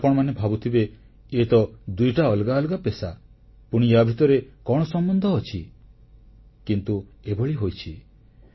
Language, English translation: Odia, Now you must be wondering that these are two completely different occupations what is the relation between these professions